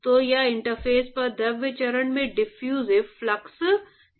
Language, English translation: Hindi, So, this is the diffusive flux in the fluid phase at the interface